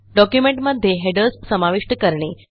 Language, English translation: Marathi, How to insert headers in documents